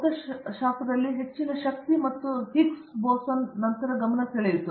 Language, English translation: Kannada, So, for example, high energy in particle physics it grabbed attention after Higgs boson, for example